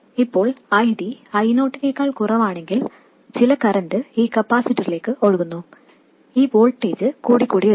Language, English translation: Malayalam, If ID is smaller than I 0, some current will be flowing into this capacitor and this voltage will go on increasing